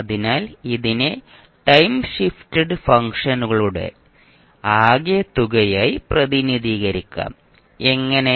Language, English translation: Malayalam, So iIt can be represented as the sum of time shifted functions, how